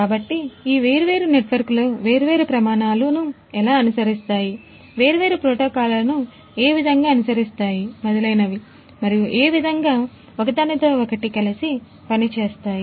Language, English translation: Telugu, So, how these different networks following different standards, following different you know protocols and so on how they are going to work hand in hand